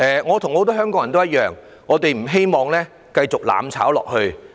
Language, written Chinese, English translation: Cantonese, 我與很多香港人一樣，不希望香港繼續"攬炒"下去。, Just like many others in Hong Kong I do not want to see Hong Kong heading for mutual destruction